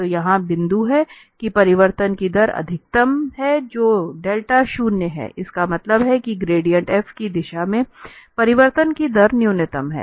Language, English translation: Hindi, So, this is the point here that the rate of change is maximum when the theta is 0, that means, in the direction of the gradient f, the rate of change is minimum